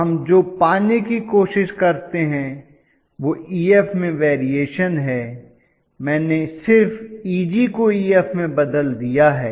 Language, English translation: Hindi, So what we try to get is variation of Ef, I just changed Eg to Ef